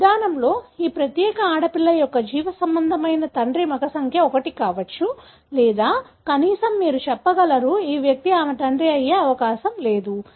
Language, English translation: Telugu, With this approach, we will be able to tell the biological father of this particular girl child could be male number 1 or at least you can say, this individual is not likely to be her father